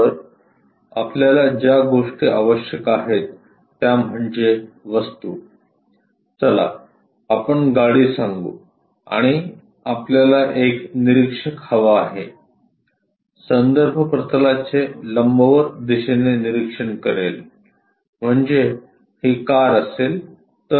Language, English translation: Marathi, So, the things what we require is an object, let us say a car and we require an observer, with an observation perpendicular to reference planes; that means, if this is the car